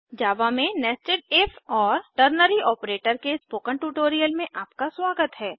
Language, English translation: Hindi, Welcome to the spoken tutorial on Nested If and Ternary Operator in java